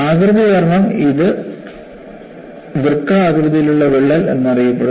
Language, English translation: Malayalam, And because of the shape, this is known as a kidney shaped crack